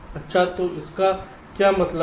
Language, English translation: Hindi, so what does this mean